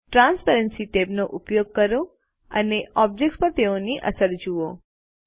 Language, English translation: Gujarati, Use the Transparency tab and see its effects on the objects